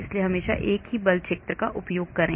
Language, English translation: Hindi, so always use the same force field